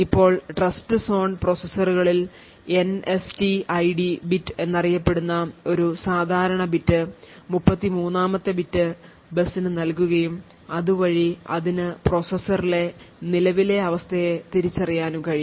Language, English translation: Malayalam, Now with Trustzone enabled processors an additional bit known as the NSTID bit the, 33rd bit put the also put out on the bus so this particular bit would identify the current state of the processor